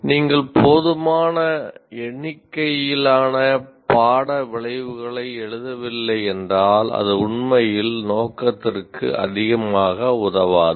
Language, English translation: Tamil, So, if you do not write enough number of course outcomes, it may not really serve much purpose